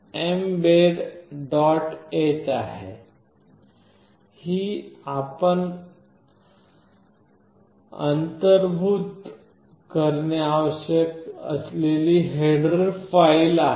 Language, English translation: Marathi, h this is the header file that you need to include